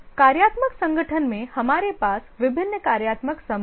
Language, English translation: Hindi, In the functional organization we have various functional groups